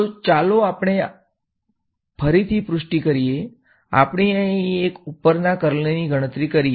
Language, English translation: Gujarati, So, let us confirm our intuition, let us calculate the curl of a over here